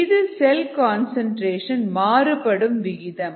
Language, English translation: Tamil, this is total cell concentration